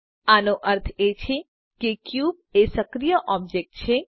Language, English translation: Gujarati, This means that the active object is the cube